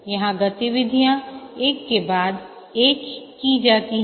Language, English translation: Hindi, Here the activities are carried out one after other